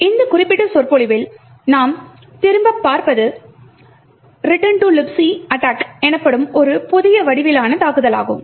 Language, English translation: Tamil, In this particular lecture what we will look at is a new form of attack known as the Return to Libc Attack